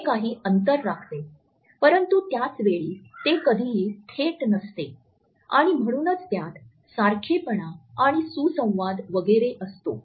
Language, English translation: Marathi, It maintains certain proxemic distance, but at the same time it is never direct and therefore, it integrates by similarity and harmony etcetera